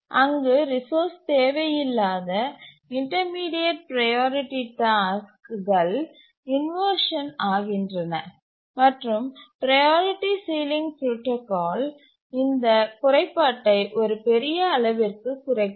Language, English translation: Tamil, Tasks not needing the resource, the intermediate priority task undergo inversion and the priority sealing protocol overcomes this drawback to a large extent